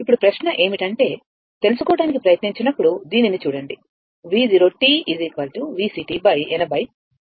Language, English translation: Telugu, Now, question is that that ah, when we try to find out, look at look at this one right, we are writing V 0 t is equal to V C t upon 80 into 40 right